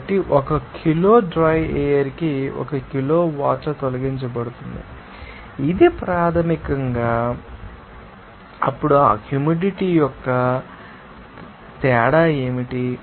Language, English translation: Telugu, So, kg of water removed per kg of dry air, this is basically then you know, what is the difference of that humidity